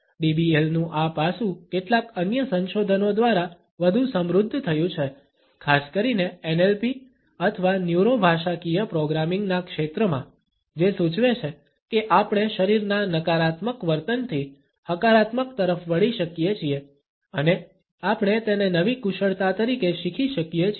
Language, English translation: Gujarati, This aspect of DBL has further been enriched by certain other researches, particularly in the area of NLP or Neuro Linguistic Programming which suggest that we can shift from a negative body behaviour to a positive one and we can learn it as a new skill